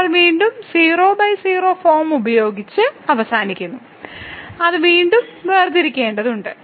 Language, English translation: Malayalam, So, we again end up with by form which we have to differentiate again